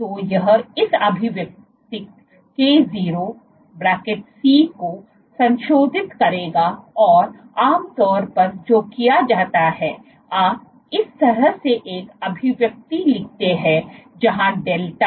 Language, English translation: Hindi, So, this will be modifying this expression k0[C] and what is typically done is, you have you write down an expression like this where delta